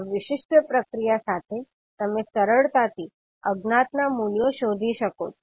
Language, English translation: Gujarati, So basically with this particular process, you can easily find out the values of the unknowns